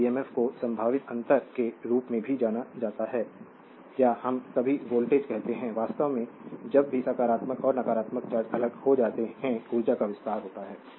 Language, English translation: Hindi, This emf is also known as potential difference or we call sometimes voltage right, actually whenever positive and negative charges are separated energy is expanded